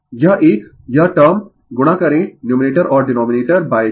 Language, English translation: Hindi, This one, this term you multiply numerator and denominator by j